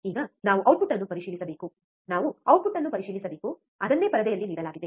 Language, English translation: Kannada, Now we have to check the output, we have to check the output, that is what is given in the screen